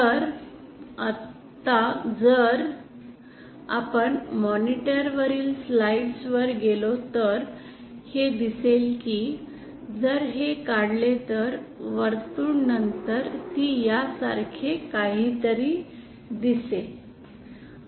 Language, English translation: Marathi, So if now go to the slides on the monitor we see that if we draw these circles then it will the circles will look something like this actually